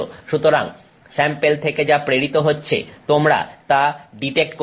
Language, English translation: Bengali, So, what you detect is what got transmitted from the sample